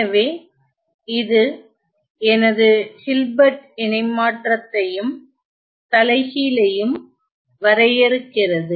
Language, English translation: Tamil, So, so, that defines my Hilbert transform as well as the inverse